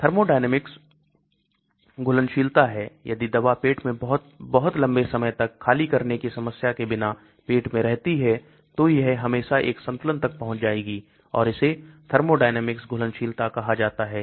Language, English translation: Hindi, Thermodynamic solubility is, the if the drug remains to stomach for a very, very long time without the problem of empting of the stomach contents then it will always reach an equilibrium and that is called thermodynamics solubility